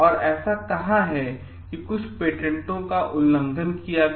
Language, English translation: Hindi, And where is it like some patents were violated